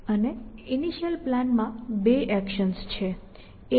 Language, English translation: Gujarati, And the initial plan has two actions a 0 and a infinity